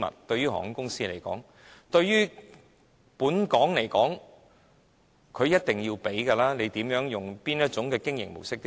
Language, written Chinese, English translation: Cantonese, 對於香港而言，他們是一定要付錢的，無論哪種經營模式都要付錢。, It is because they will need to make such payments anyway . From Hong Kongs perspective certainly they will have to pay regardless of their business mode